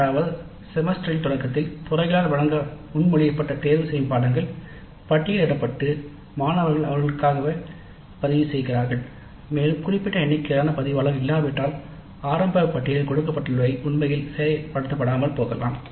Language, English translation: Tamil, That is at the start of the semester the electives proposed to be offered by the department are listed and the students register for them and unless there is certain minimum of resistance and actually an elective may not be really implemented